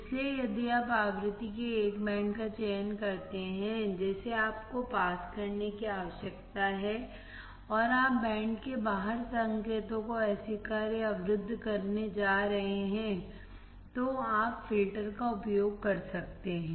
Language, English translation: Hindi, So, if you select a band of frequency that you need to pass, and you are going to reject or block the signals outside the band, you can use the filters